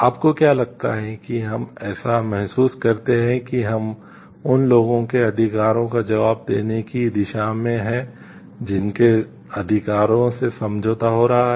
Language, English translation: Hindi, What do you think do we feel like we have towards answering to the rights of the people whose like rights are getting compromised